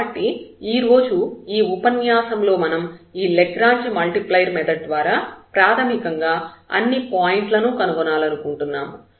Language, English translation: Telugu, So, here in this lecture today or by this Lagrange multiplier we basically find all the candidates